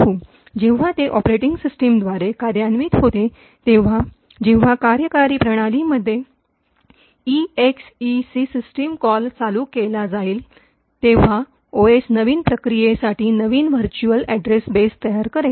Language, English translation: Marathi, When it is executed by the operating system, so when the exec system call is invoked in the operating system, the OS would create a new virtual address base for the new process